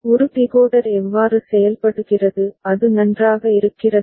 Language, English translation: Tamil, This is how a decoder works; is it fine